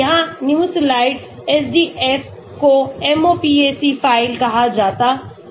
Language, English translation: Hindi, here is there Nimesulide SDF is called MOPAC file